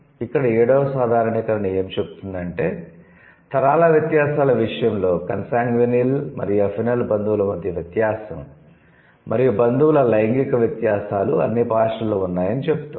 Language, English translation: Telugu, In such cases, in case of the generational differences, the difference between consanguinal and affinal relatives and sex differences of the relatives are present in all languages